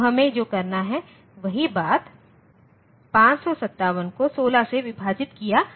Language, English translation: Hindi, So, what we have to do is, the same thing 557 divided by 16